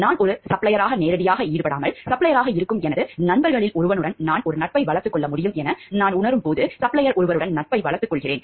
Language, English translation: Tamil, When I feel like there could be a condition where I am not directly involved as a supplier, but one of my friends who is a supplier I develop a friendship with one of the suppliers